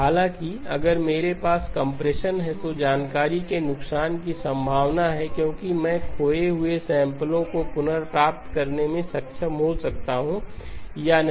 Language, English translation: Hindi, However, if I do have compression there is a possibility of loss of information because I may or may not be able to recover the lost samples